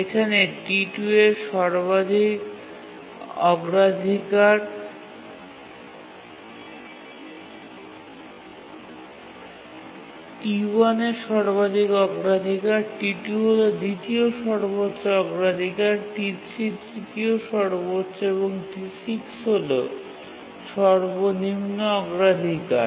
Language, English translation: Bengali, So that is T1 is the maximum priority, T2 is the second maximum, T3 is the third maximum, and T6 is the lowest priority here